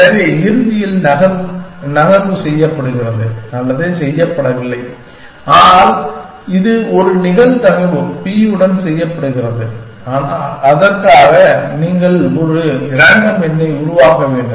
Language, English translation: Tamil, So, eventually the move is either made or is not made, but it is made with a probability p and that, for that you have to generate a random number